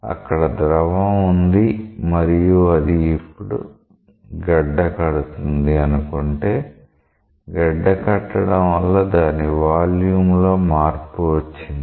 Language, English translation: Telugu, Maybe there was a fluid now it is getting frozen and because of freezing its volume gets change